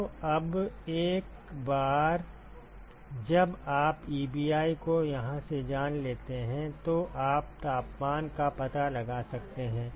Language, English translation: Hindi, So, once you know Ebi from here you can find temperature that is it